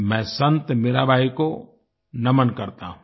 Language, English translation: Hindi, I bow to Sant Mirabai